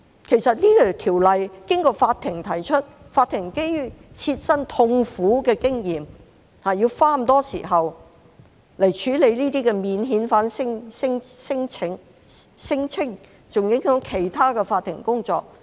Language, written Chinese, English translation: Cantonese, 其實，《條例草案》經過法庭提出，法庭基於切身痛苦的經驗，要花很多時間來處理這些免遣返聲請，更影響其他法庭的工作。, Actually the Bill was initiated by the courts and prompted by their painful experience and the fact that they have needed to spend a lot of time disposing of these non - refoulement claims which has affected the discharge of other duties of the courts